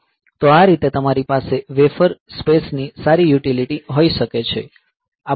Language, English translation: Gujarati, So, that way you can have good utility of the wafer space that you have